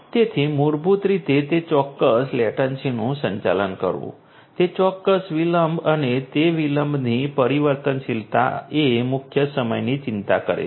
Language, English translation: Gujarati, So, basically managing that particular latency, that particular delay and the variability of that delay is what concerns the lead time